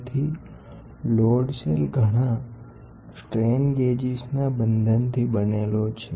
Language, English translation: Gujarati, So, a load cell is made up of bonding of several strain gauges